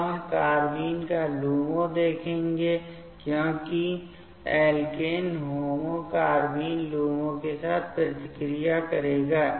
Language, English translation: Hindi, Now, we will see the carbene’s LUMO, because the alkene HOMO will react with the carbene LUMO